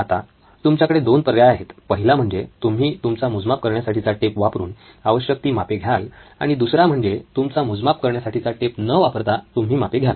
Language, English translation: Marathi, So you have 2 choices you can either use your measuring tape and take your measurements or don’t use your measuring tape and take your measurements